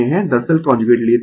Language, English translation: Hindi, Actually we take the conjugate